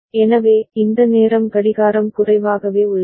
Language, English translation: Tamil, So, this is the time clock is remaining at low